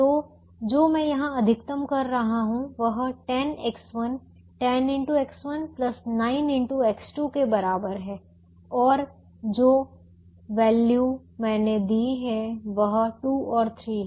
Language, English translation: Hindi, so what i am maximizing here is equal to ten x one, ten into x one plus nine into x two